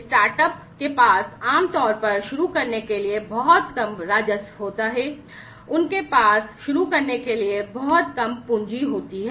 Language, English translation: Hindi, So, startups typically have very small revenues to start with, they have very less capital to start with